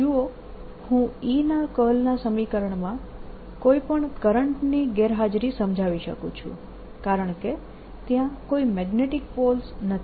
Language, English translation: Gujarati, you see, i could explain the absence of any current in this equation, curl of e equation, because there are no magnetic poles